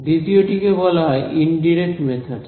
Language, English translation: Bengali, The second is what are called indirect methods right